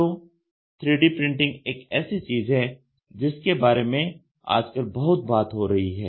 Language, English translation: Hindi, So, 3D printing is something which is which is very much talked about today